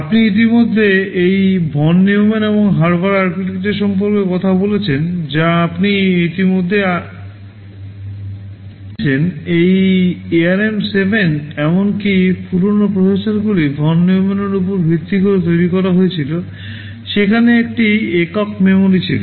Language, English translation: Bengali, Now talking about this von Neumann and Harvard architecture you already talked about earlier, this ARM 7 and the even older processors were based on von Neumann, there was a single memory